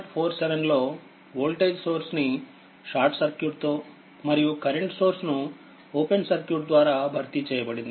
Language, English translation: Telugu, So, figure 47 the circuit with the voltage sources replaced by short circuit and the current sources by an open circuit right